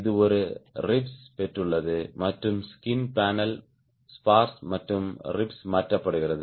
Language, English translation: Tamil, it is got a ribs and the skin panel is riveted to the spars and the ribs